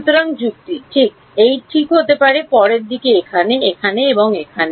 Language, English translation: Bengali, So, the logic can just be this right the next is over here, over here and over here